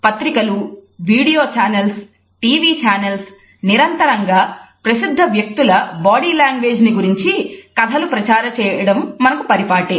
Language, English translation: Telugu, We find that magazines as well as video channels TV channels carry endless stories on the body language of celebrities